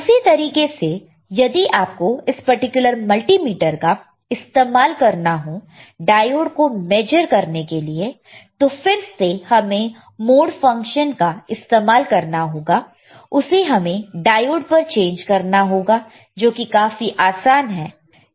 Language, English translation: Hindi, Same way, if you want to use this particular multimeter, right and we are measuring the diode; So, again using the mode function, we can change it to diode is very easy